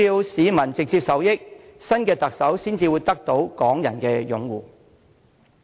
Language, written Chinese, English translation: Cantonese, 市民必須直接受益，新的特首才會得到港人擁護。, The new Chief Executive can win the support of Hong Kong people only when they can receive direct benefits